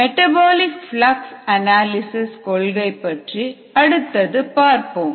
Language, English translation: Tamil, we will look at the principles of metabolic flux analysis next